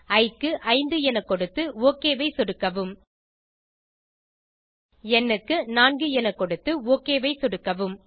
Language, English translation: Tamil, Lets enter 5 for i, and click OK Lets enter 4 for n, and click OK